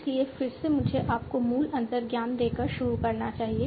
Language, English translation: Hindi, So again let me start by giving you the basic intuition